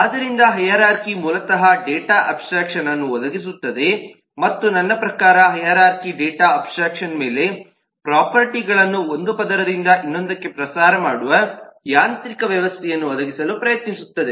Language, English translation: Kannada, so hierarchy basically provides data abstraction and i mean hierarchy provides on top of the data abstraction, it tries to provide a mechanism by which the properties can propagate from one layer to the other